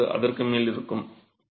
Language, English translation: Tamil, 25 or higher